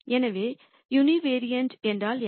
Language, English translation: Tamil, So, what do we mean by univariate